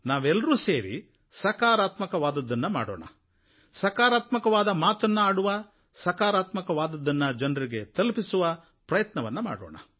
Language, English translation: Kannada, We all should strive together to do something positive, talk about something positive, to spread something positive